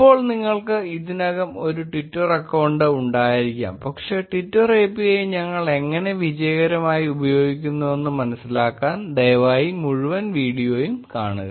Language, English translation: Malayalam, Now you may already have a twitter account, but please go through the entire video to understand how we successfully use the twitter API